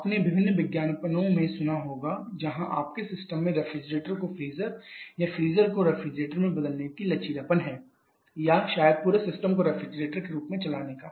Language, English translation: Hindi, So, we have lots of flexibilities you must have heard different advertisements where your system has the flexibility of converting the refrigerator to a freezer or a freezer to a refrigerator or maybe run the entire system just as a refrigerator